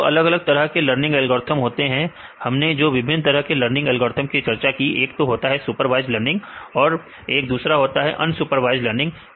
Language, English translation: Hindi, So, the 2 different types of learning algorithms right we discussed different types of learning algorithms, one is supervised learning and unsupervised learning